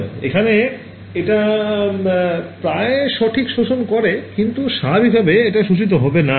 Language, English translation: Bengali, PML over here so, its absorbing it almost perfectly, but I mean in practice some of it will not get absorbed right